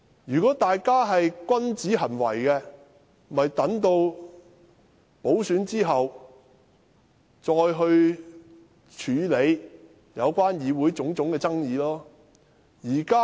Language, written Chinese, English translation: Cantonese, 如果大家是君子，便應留待補選後再去處理議會的種種爭議。, If we are upright we should deal with the various disputes in the Council after the by - elections